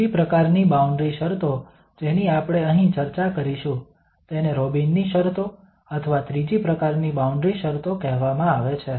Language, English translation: Gujarati, The third kind of boundary conditions we will discuss here, these are called Robin's conditions or the third kind of boundary conditions